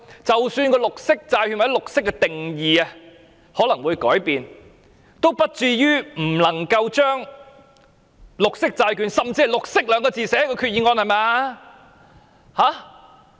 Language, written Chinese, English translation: Cantonese, 即使綠色債券或綠色的定義可能會改變，也不至於不能將綠色債券，甚至綠色二字寫在決議案內吧！, Even though the definition of green bond or green may change it does not render it impossible to write down the term green bond or simply green in the Resolution does it?